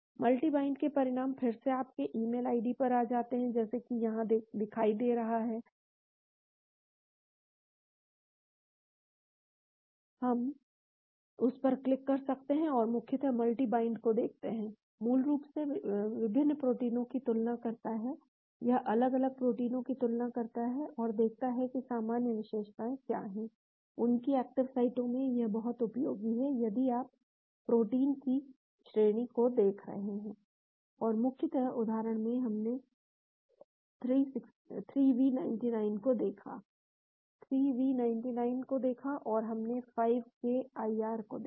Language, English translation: Hindi, The results of multi bind again comes to your email ID as seen here, we can click on that and basically multi bind looks at; basically, compares different proteins , it compares different proteins and see what are the common features , in their active sites, this is very useful if you are looking at families of protein and basically, in the example, we looked at the 3v99; looked at 3v99 and we looked at 5k IR